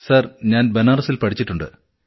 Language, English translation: Malayalam, Yes, I have studied in Banaras, Sir